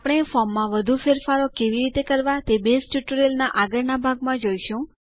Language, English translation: Gujarati, We will see how to make more modifications to a form in the next part of the Base tutorial